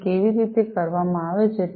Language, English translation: Gujarati, So, how what is done